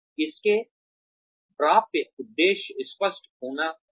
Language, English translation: Hindi, It should have clear attainable objectives